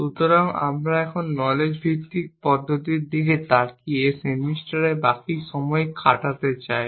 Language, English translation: Bengali, So, we want to now spend the rest of the semester looking at knowledge based approaches